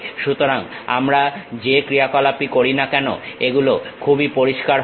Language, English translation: Bengali, So, whatever the operations we are doing it will be pretty clear